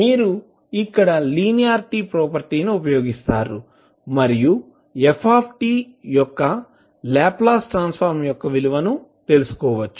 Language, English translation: Telugu, You will use linearity property here & find out the value of the Laplace transform of f t